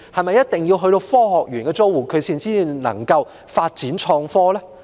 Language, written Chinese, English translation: Cantonese, 難道只有科學園的租戶才可以發展創科？, Is it that only tenants in the Science Park can develop IT?